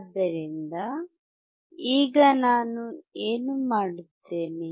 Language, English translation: Kannada, So, and now what I will do